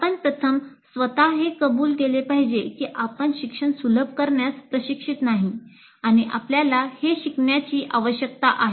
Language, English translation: Marathi, That first thing you should acknowledge to yourself that I'm not trained in facilitating learning and I need to learn